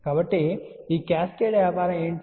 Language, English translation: Telugu, So, what is this cascaded business